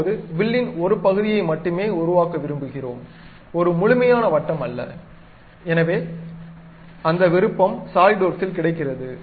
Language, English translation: Tamil, Now, we would like to construct only part of the arc, not complete circle, so that option also available at Solidworks